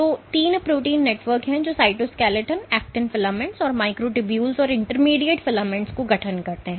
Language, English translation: Hindi, So, there are three protein networks which constitute the cytoskeleton, the actin filaments, the microtubules, and intermediate filaments